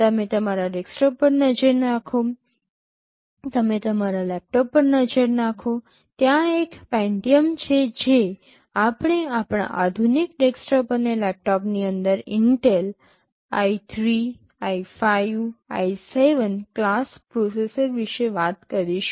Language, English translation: Gujarati, You look at our desktop, you look at our laptop, there is a Pentium we talk about Intel i3, i5, i7 class of processors inside our modern desktops and laptops